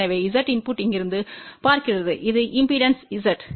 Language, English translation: Tamil, So, Z input looking from here that is this impedance Z